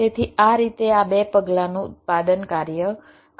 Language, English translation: Gujarati, so this is how this two step manufacturing works